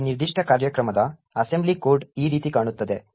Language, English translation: Kannada, The assembly code for this particular program looks something like this